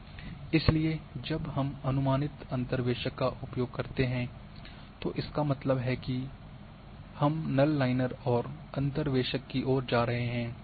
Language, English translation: Hindi, So, when we go for approximate interpolators that means, we are going more towards null linear and interpolator